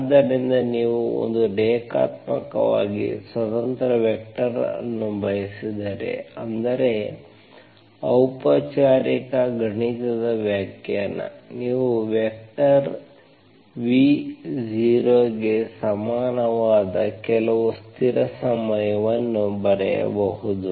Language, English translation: Kannada, So if you are, if you want one linearly independent vector, that means formal mathematically formal definition is, you can write some constant times that vector v equal to, if you want that to be equal to 0